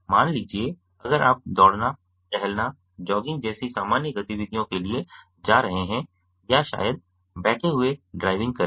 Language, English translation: Hindi, suppose if you are going for normal activities like running, walking, jogging, maybe driving, sitting, lying